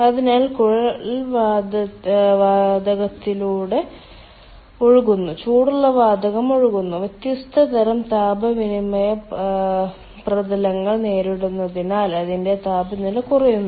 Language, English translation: Malayalam, hot gas is flowing, its temperature reduces as it encounters different kind of heat exchange surfaces